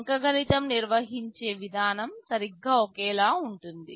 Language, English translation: Telugu, The way the arithmetic is carried out is exactly identical